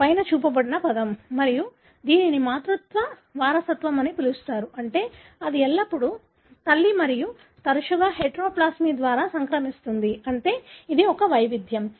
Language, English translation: Telugu, That is the term that is shown on the top, and it is called the matrilineal inheritance, meaning it is always transmitted by mother and frequent heteroplasmy, meaning it is a variation